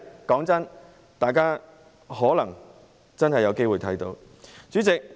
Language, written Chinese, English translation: Cantonese, 坦白說，大家可能真的有機會看到這一天。, Honestly Members may really have a chance to see that day